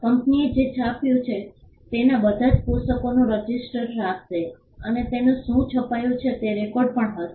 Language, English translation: Gujarati, The company will maintain a register as to all the books that it has printed, and it would be on record as to what was printed